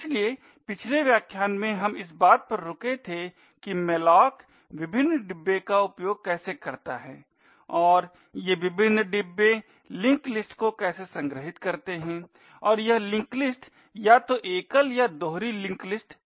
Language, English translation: Hindi, So in the previous lecture we stopped off at how malloc uses the various bins and how these various bins store linked lists headers and this link list to be either single or doubly linked lists